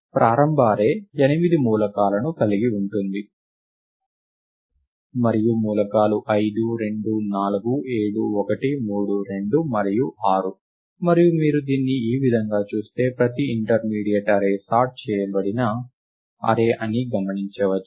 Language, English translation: Telugu, The initial array has had eight elements, and the elements are 5 2 4 7 1 3 2 and 6, and observe that in this view every intermediate array that you see as you view this in a bottom of fashion right, is a sorted array